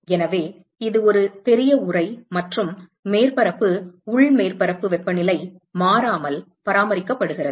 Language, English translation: Tamil, So, it is a large enclosure and the surface internal surface temperature is maintained constant